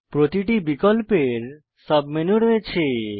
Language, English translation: Bengali, Each item has a Submenu